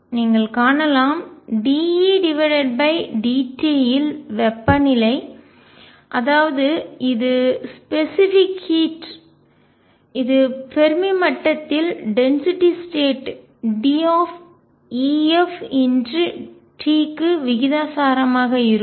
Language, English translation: Tamil, And you can see then d E by d t temperature which is specific heat is going to be proportional to density of states at the Fermi level time’s t